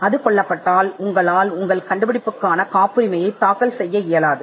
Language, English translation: Tamil, And if it gets killed then you cannot file a patent for your invention